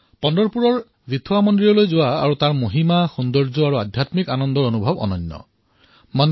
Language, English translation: Assamese, Visiting Vithoba temple in Pandharpur and its grandeur, beauty and spiritual bliss is a unique experience in itself